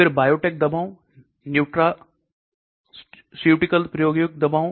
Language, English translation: Hindi, Then Biotech drugs, nutraceuticals experimental drugs